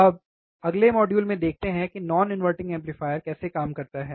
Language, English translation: Hindi, Now in the next module, let us see how non inverting amplifier would work alright